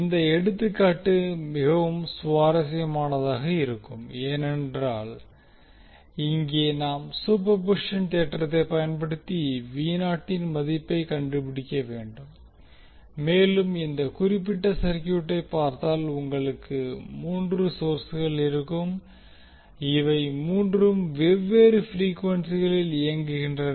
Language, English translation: Tamil, This example will be really interesting because here we need to find out the value of V naught using superposition theorem and if you see this particular circuit you will have three sources and all three are operating at a different frequency